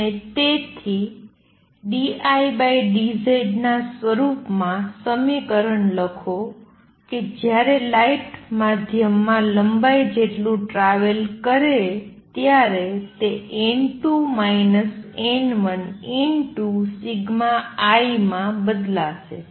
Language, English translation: Gujarati, And therefore, write the equation in the form that d I over d Z when the light travels over length in a medium is going to change as n 2 minus n 1 times sigma I